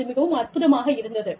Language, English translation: Tamil, It is amazing